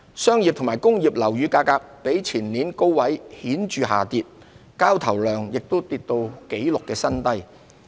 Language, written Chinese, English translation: Cantonese, 商業及工業樓宇價格比前年高位顯著下跌，交投量亦跌至紀錄新低。, Prices of commercial and industrial properties fell visibly from their peak in 2019 and transaction volume dropped to a record low